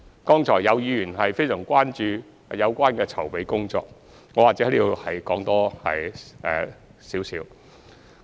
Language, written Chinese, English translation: Cantonese, 剛才有議員非常關注有關的籌備工作，我或者在此再說一點。, Some Members are very concerned about the preparatory work so I wish to elaborate a little more here